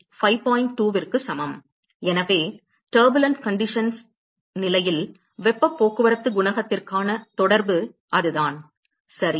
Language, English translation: Tamil, 2; so, that is the correlation for heat transport coefficient under turbulent conditions ok